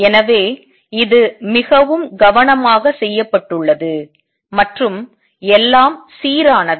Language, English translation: Tamil, So, this has been done very carefully and everything is consistent